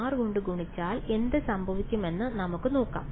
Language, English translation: Malayalam, So, if I take 2 multiplied by f of what should I multiply it by